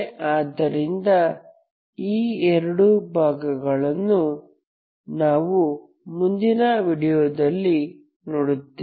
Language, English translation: Kannada, So these two cases we will see in the next few videos